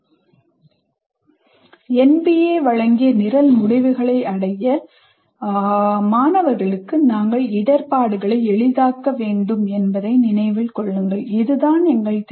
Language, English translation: Tamil, And remember that we need to facilitate students to attain program outcomes as given by NBA